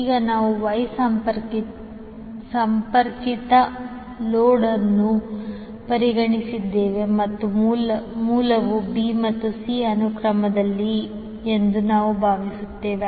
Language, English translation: Kannada, Now since we have considered the Y connected load and we assume the source is in a b c sequence